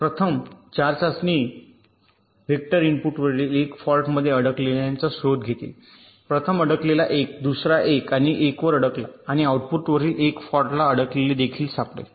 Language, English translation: Marathi, the first four test vectors will be detecting these stuck at one faults on the inputs, the first one stuck at one, second one stuck at one, and so one